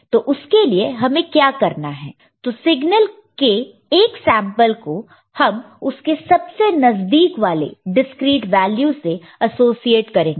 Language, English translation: Hindi, And for that, what we will do, we shall associate when we look at a sample of the signal at a specific discreet value which is the closest